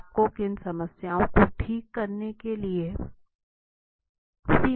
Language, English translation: Hindi, What boundaries you have to confine to okay